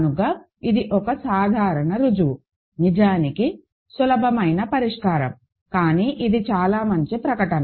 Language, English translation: Telugu, So, this is a simple proof actually simple solution, but it is a very nice statement